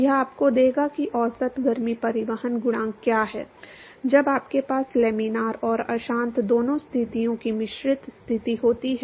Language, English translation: Hindi, That will give you what is the average heat transport coefficient when you have mixed conditions of both laminar and turbulent conditions